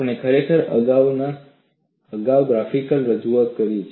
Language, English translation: Gujarati, We have really looked at a graphical representation earlier